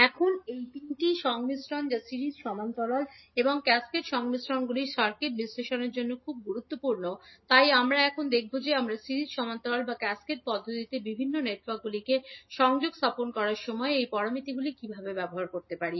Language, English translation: Bengali, Now these 3 combinations that is series, parallel and cascaded combinations are very important for the circuit analysis, so we will see now how we can utilise these parameters when we interconnect the various networks either in series, parallel or cascaded manner